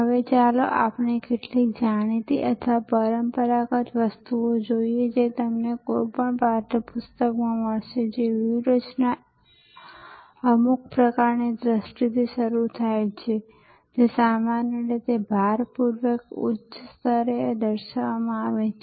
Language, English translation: Gujarati, Now, let us look at some known or traditional or items that you will find in any text book that strategy starts with some kind of a vision, where you want to be which is a sort of usually stated at a high level of abduction